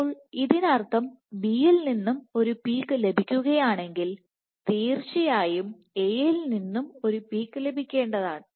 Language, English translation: Malayalam, So, which means that if you get a peak from B then a peak from a you must have